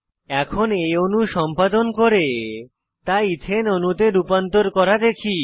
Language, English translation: Bengali, Now lets see how to edit this molecule and convert it to Ethane molecule